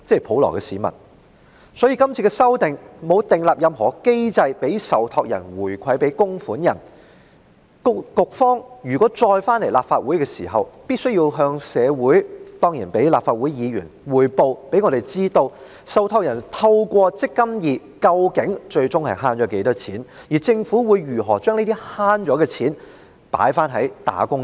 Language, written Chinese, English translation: Cantonese, 《條例草案》沒有訂立任何機制讓受託人回饋供款人，因此局方如再次來到立法會，便必須向社會及議員匯報，讓大家知道受託人透過"積金易"最終究竟能節省多少金錢，以及政府會如何將節省所得的金錢回饋"打工仔"。, The Bill has not put in place any mechanism for the trustees to return the money saved to the contributors . Therefore if the Bureau comes to the Legislative Council again it should give an account to the community and Members on the amount of money that the trustees can ultimately save under the eMPF Platform and how the Government is going to return the money saved to wage earners